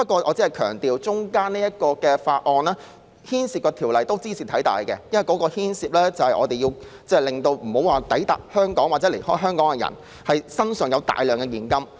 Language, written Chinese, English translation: Cantonese, 我只是強調，這次審議的附屬法例中，有一項茲事體大，因為牽涉防止抵港或離港的人攜帶大量現金。, I just want to highlight that amongst the pieces of subsidiary legislation to be scrutinized there is one important issue ie . disallowing people arriving at or departing from Hong Kong from carrying a huge amount of cash